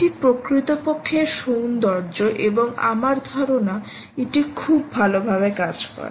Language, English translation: Bengali, that is the beauty, really, and i think it works very well